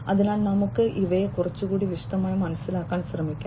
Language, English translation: Malayalam, So, let us try to understand these in little bit more detail